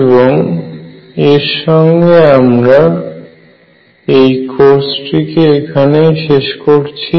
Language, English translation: Bengali, With that we end this course